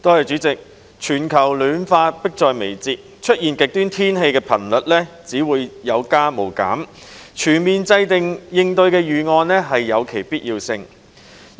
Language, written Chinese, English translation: Cantonese, 主席，全球暖化迫在眉睫，出現極端天氣的頻率只會有增無減，所以有必要全面制訂應對預案。, President in view of the imminence of global warming extreme weather conditions will definitely become more frequent . Thus it is necessary to formulate a comprehensive response plan